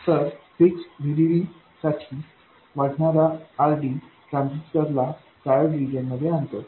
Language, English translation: Marathi, So, for a fixed VDD, increasing RD drives the transistor into triode reason